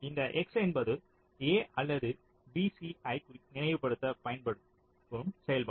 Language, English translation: Tamil, so, ah, this: x is the function used to recall a or b, c